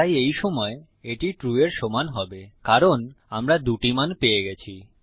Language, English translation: Bengali, So right now, this will equal true because we have got both values